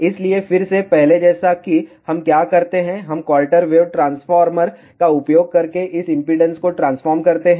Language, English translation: Hindi, So, again as before what we do we transfer this impedance using quarter wave transformer